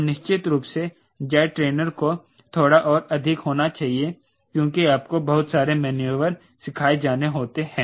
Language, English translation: Hindi, and jet trainer, of course, has to be little more because you have to do so many of maneuvers